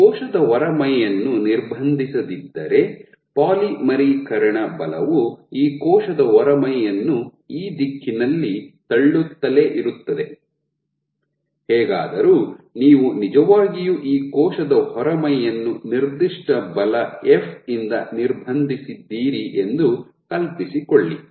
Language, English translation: Kannada, So, if you do not restrict this wall the polymerization forces will keep on pushing this wall in this direction; however, imagine if you actually constrain this wall with a certain force f